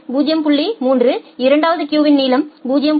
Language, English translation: Tamil, 3 the second queue has a length of 0